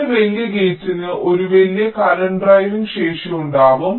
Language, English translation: Malayalam, larger gate will have larger current driving capacity